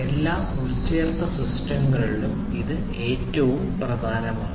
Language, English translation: Malayalam, And this is the most important of all embedded systems